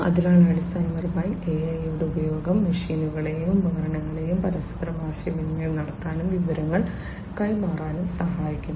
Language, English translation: Malayalam, So, basically, you know, use of AI helps the machines and equipments to communicate and relay information with one another